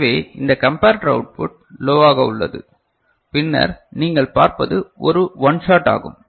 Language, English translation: Tamil, So, this comparator output is low right and then what you see OS is a one shot